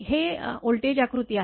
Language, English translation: Marathi, This is that voltage diagram